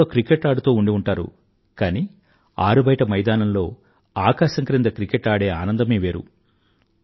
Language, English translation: Telugu, You must be playing cricket on the computer but the pleasure of actually playing cricket in an open field under the sky is something else